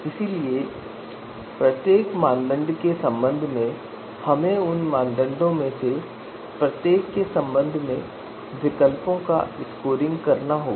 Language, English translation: Hindi, So with respect to each of those you know criterion we have to you know we have to get the scoring of alternative with respect to each of those criterion